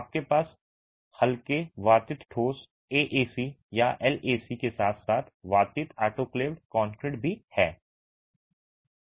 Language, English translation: Hindi, You have lightweight aerated concrete, AAC or LAC as aerated autoclaced concrete as well